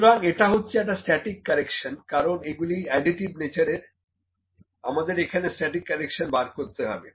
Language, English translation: Bengali, So, here it is static correction, because these are additive in nature, we need to find the static correction